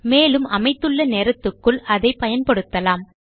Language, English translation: Tamil, And you could use it within this time that we have set here